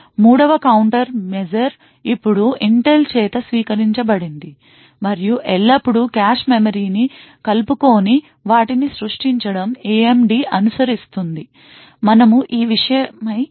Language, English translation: Telugu, A 3rd countermeasure which is now adopted by Intel and has always been followed by AMD is to create cache memories which are non inclusive, we will not go further into these things